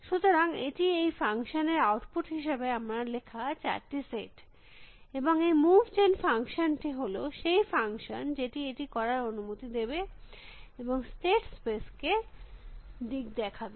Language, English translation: Bengali, So, it is the written this four sets as my output to the function and this move gen function is a function which will allow it and navigate the state space